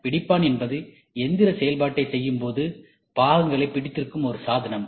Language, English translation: Tamil, Fixture is a device where in which you hold the work piece while doing the machining operation ok